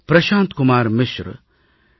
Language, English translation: Tamil, Shri Prashant Kumar Mishra, Shri T